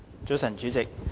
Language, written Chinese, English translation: Cantonese, 早晨，主席。, Good morning President